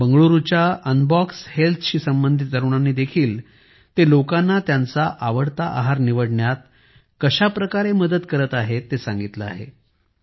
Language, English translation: Marathi, The youth associated with Unbox Health of Bengaluru have also expressed how they are helping people in choosing the diet of their liking